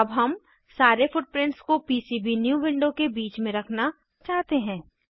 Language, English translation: Hindi, Now we need to place all footprints in centre of PCBnew window